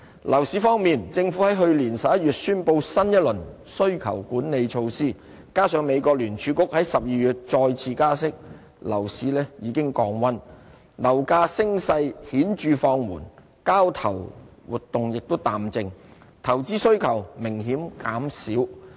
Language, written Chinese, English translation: Cantonese, 樓市方面，政府於去年11月宣布新一輪需求管理措施，加上美國聯儲局於12月再次加息，樓市已經降溫，樓價升勢顯著放緩，交投活動亦淡靜，投資需求明顯減少。, Regarding the property market after the Governments announcement of a new round of demand - side management measures in November and the second rate hike by the United States Federal Reserve in December last year the property market has cooled down already . The rise in property prices has substantially slowed down and transactions have become quiet with a sharp decrease in investment demands